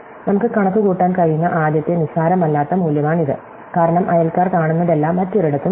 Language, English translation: Malayalam, So, this is the first non trivial value that we can compute, because all its three neighbors are nowhere else are around